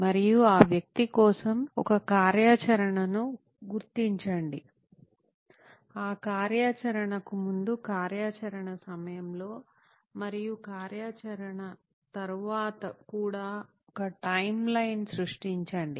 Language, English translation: Telugu, And identify an activity for that persona, create a timeline before that activity, during the activity and also after the activity